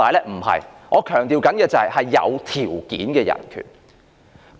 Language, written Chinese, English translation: Cantonese, 我所強調的是有條件的人權。, What I mean is conditional human rights I must stress